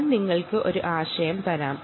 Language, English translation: Malayalam, ok, i will give you an idea